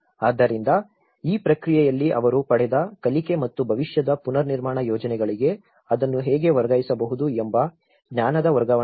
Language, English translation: Kannada, So, there is no transfer of knowledge what the learning they have gained in this process and how it can be transferred to the future reconstruction projects